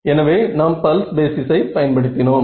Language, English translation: Tamil, So, pulse basis is what we used